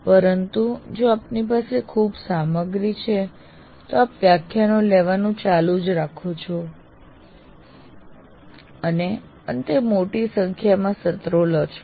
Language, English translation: Gujarati, But if you have too much of content, then you keep on taking lectures and lectures and you end up taking a larger number of sessions